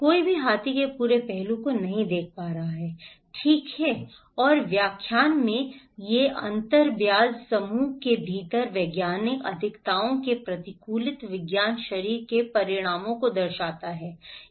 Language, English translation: Hindi, No one is looking at the entire aspect of the elephant, okay and these differences in interpretations reflect adversarial science camps results from scientific advocacies within interest group